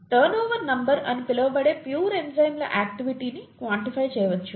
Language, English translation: Telugu, The activity of pure enzymes can be quantified by something called a turnover number